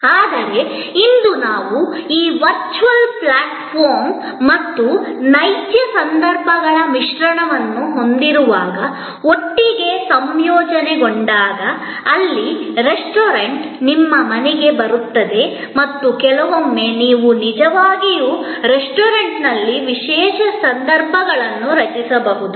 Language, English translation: Kannada, But, today when we have this mix of virtual platform and real occasions, sort of integrated together, where the restaurant comes to your house and sometimes, you may actually create a special occasions in the restaurant